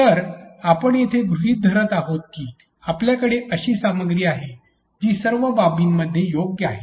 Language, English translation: Marathi, So, here we are assuming that we have the content which is correct in all aspects which is well thought of